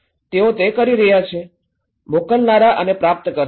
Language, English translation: Gujarati, They are doing it, senders and the receivers